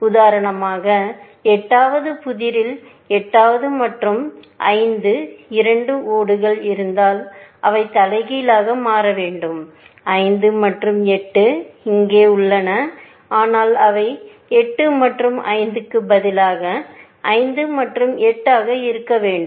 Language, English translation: Tamil, For example, in the 8th puzzle, it has been observed, that if there two tiles, let us say, 8 and 5; and they should be reversed, let us say, in the whole situation; 5 and 8 are here, but they should be 5 and 8, instead of 8 and 5